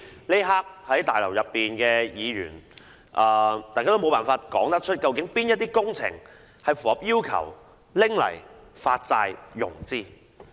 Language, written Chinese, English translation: Cantonese, 此刻在大樓內的議員都無法說出，究竟哪些工程符合要求用作發債融資。, Members at this moment cannot tell which projects are eligible for financing through bond issuance